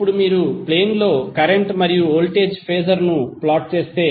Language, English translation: Telugu, Now, if you plot the current and voltage Phasor on the plane